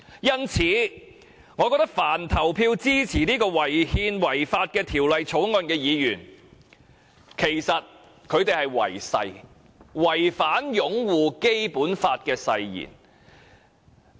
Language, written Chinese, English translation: Cantonese, 因此，我認為凡投票支持這項違憲、違法的《條例草案》的議員都是違誓，違反擁護《基本法》的誓言。, Therefore in my opinion Members who vote in favour of this unconstitutional and unlawful Bill should be regarded as breaching their oath that is the oath of upholding the Basic Law